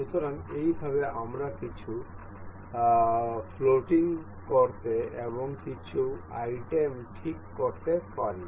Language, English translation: Bengali, So, in this way we can make something floating and fixed some items